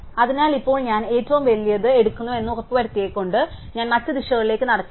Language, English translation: Malayalam, So, now by making sure that I take the biggest one of again I do not walk down the other directions